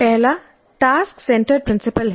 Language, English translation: Hindi, The first one is task centered principle